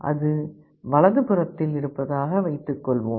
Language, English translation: Tamil, Suppose it is in the right half